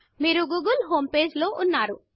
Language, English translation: Telugu, You will now be in the google homepage